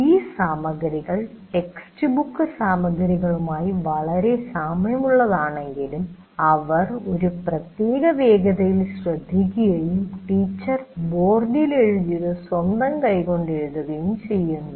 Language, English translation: Malayalam, Though that material may be very similar to the textbook material, but still you are listening at a particular pace and writing in your own hands what the teacher has written on the board